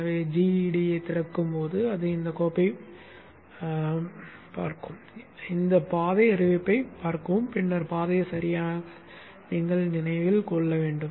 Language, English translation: Tamil, So when GEDA opens up, it will look into this file, see this path declaration and then appropriately remember the path